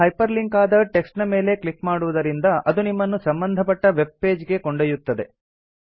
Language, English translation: Kannada, Now clicking on the hyper linked text takes you to the relevant web page